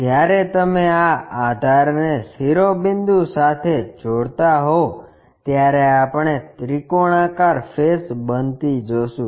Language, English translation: Gujarati, When you are connecting this base all the way to vertex, we will see triangular faces